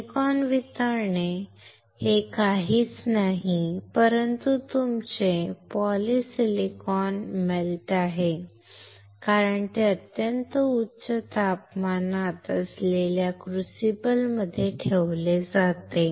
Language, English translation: Marathi, Silicon melt is nothing, but your polysilicon which is melted because the it is kept in a crucible which is at very high temperature